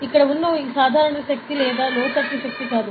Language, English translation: Telugu, So, this force over here is a normal force and not inland force